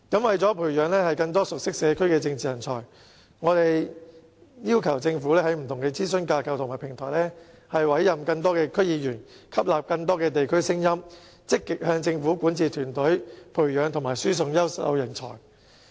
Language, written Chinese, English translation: Cantonese, 為培養更多熟悉社區的政治人才，我們要求政府在不同的諮詢架構和平台委任更多區議員，以吸納更多地區聲音，並積極向政府管治團體培養及輸送優秀人才。, In order to groom more political talents well versed in local communities we request the Government to appoint more DC members to various advisory frameworks and platforms so as to absorb more views from the districts and actively groom and transfer talents to various bodies of public administration